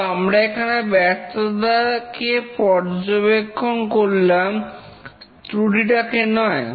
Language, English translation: Bengali, We are observing the failure, not the error